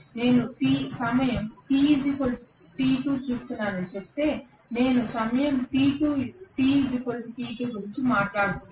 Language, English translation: Telugu, If I say I am looking at time t equal to t2, so I am talking about time t equals to t2